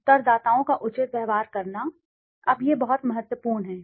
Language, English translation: Hindi, Treating respondents fairly, now that is very important